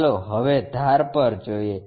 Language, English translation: Gujarati, Now, let us look at edges